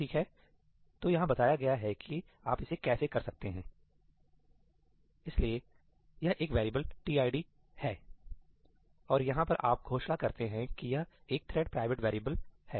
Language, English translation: Hindi, here is how you do it this is a variable tid and you declare over here that this is a thread private variable